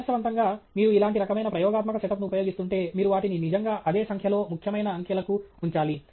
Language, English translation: Telugu, Ideally, if you are using a similar kind of experimental set up and so on, you should actually put them up to the same number of significant digits